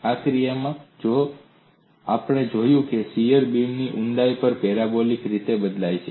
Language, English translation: Gujarati, See in this case, we have seen shear varies parabolically, over the depth of the beam